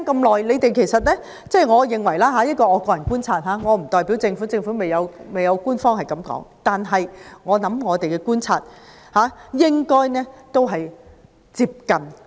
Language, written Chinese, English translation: Cantonese, 我現在要說的是我的個人觀察；我不能代表政府，而政府亦未有官方回應，但我相信我的觀察與事實接近。, Now I am going to talk about my personal observations . I cannot speak for the Government and the Government has yet to give an official response but I believe my observations are close to the facts